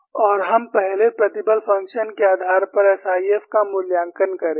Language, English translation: Hindi, And, we will first take up evaluation of SIF based on stress function